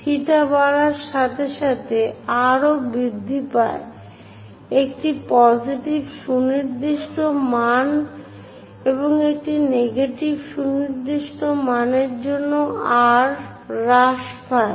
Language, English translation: Bengali, As theta increases, r also increases, for a positive definite a value and for a negative definite a value r decreases as theta increases